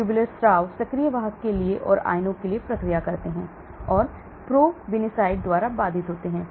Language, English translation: Hindi, Tubular secretion active carriers process for cations and for anions, and inhibited by probenicid